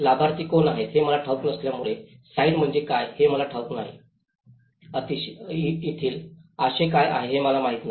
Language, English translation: Marathi, And because that is where I don’t know who are the beneficiaries, I don’t know what is a site, I don’t know what is the contours over there